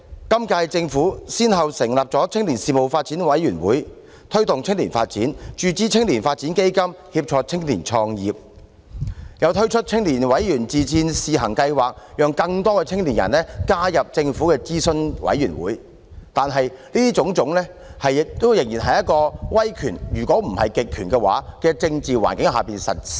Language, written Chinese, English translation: Cantonese, 今屆政府先後成立青年發展委員會，以推動青年發展；注資青年發展基金，以協助青年創業，又推出青年委員自薦試行計劃，讓更多青年人加入政府的諮詢委員會，但凡此種種仍然是在一個威權——如果不是極權——的政治環境下實施。, This Government established the Youth Development Commission to promote youth development; injected funds into the Youth Development Fund to help young people start up businesses and introduced the Pilot Member Self - recommendation Scheme for Youth to let more young people join the Governments advisory bodies but all of these measures are implemented in an authoritarian if not totalitarian political atmosphere